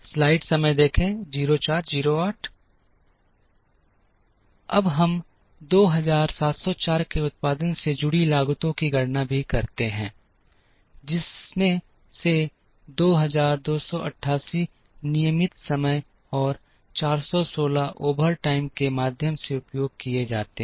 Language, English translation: Hindi, Now, we also calculate the costs associated with producing 2704, out of which 2288 are produced using regular time and 416 through overtime